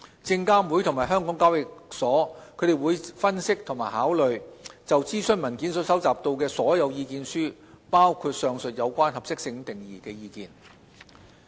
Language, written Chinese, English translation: Cantonese, 證監會及港交所將會分析及考慮就諮詢文件所收集到的所有意見書，包括上述有關合適性定義的意見。, SFC and HKEx will analyse and consider all the submissions collected in relation to the consultation paper including the above comments on the definition of suitability